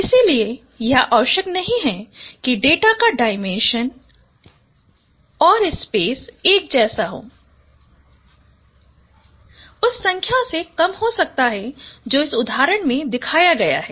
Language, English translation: Hindi, So it is not necessary that dimension of data would be the same as the dimension of the space, it could be lower than that number